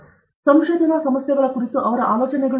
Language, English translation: Kannada, So, his ideas on research problems